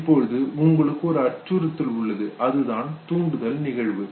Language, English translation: Tamil, Now you have threat that is the stimulus event